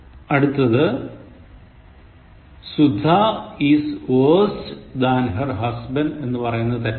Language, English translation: Malayalam, Sudha is worse than her husband